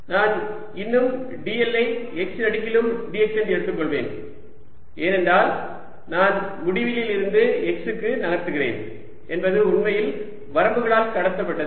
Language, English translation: Tamil, i'll still take d l to be d x along x, because that i am moving in from infinity to x is actually covered by the limits